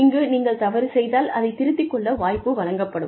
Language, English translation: Tamil, You make a mistake, you are given an opportunity, to rectify it